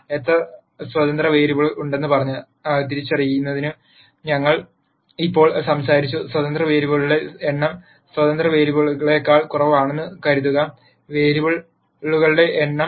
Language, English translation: Malayalam, Now that we have talked about identifying how many independent variables are there; assume that the number of independent variables are less than the number of variables